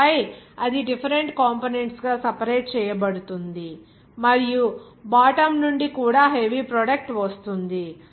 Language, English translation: Telugu, And then it will be separated into different component and from the bottom also the heavy product will be coming